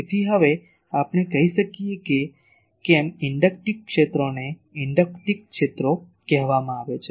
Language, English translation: Gujarati, So, now, we can say that why inductive fields are called inductive fields